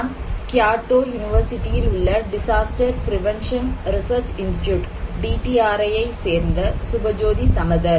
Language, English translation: Tamil, So, I am Subhajoti Samaddar, from DPRI; Disaster Prevention Research Institute, Kyoto University, Japan